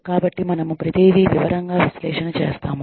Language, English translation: Telugu, So, we evaluate, everything in detail